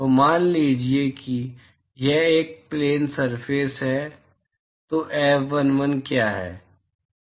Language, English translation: Hindi, So, supposing if it is a planar surface what is the F11